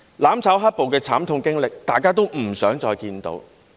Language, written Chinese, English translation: Cantonese, "攬炒"、"黑暴"的慘痛經歷，大家也不想再看見。, We do not want to live the painful experience of mutual destruction and black - clad violence again